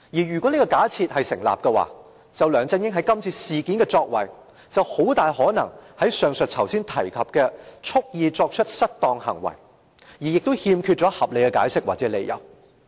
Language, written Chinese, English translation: Cantonese, 如果這假設成立，梁振英在今次事件中的作為，就很大可能屬於上述5個主要元素中的蓄意作出失當行為，而欠缺合理解釋或理由。, If this hypothesis can be established the conduct of LEUNG Chun - ying in this incident will very likely fit in one of the five aforementioned elements which is wilfully misconducting without reasonable excuse or justification